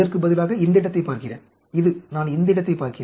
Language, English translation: Tamil, I am looking at this place instead of this, and this I am looking at this place